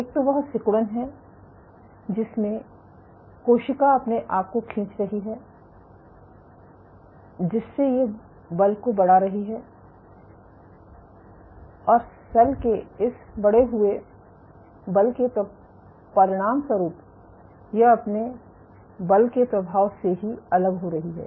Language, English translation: Hindi, One is the contractility in which the cell is pulling on itself the cell is executing this increased amount of forces as a consequence of which it is detaching under the effect of it is own force ok